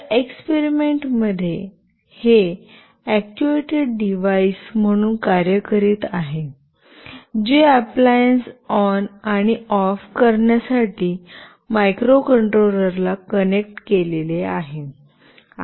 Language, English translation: Marathi, In this experiment it is acting as a actuated device, which is connected to microcontroller to turn ON and OFF the appliance